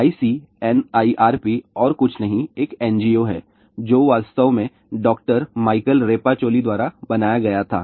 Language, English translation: Hindi, ICNIRP is nothing but an NGO and which was actually formed by doctor Michael Rapper Shelley